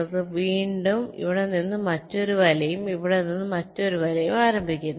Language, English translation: Malayalam, we again start another net from here and another net from here